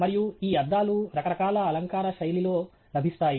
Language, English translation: Telugu, And these glasses are available in a variety of different styling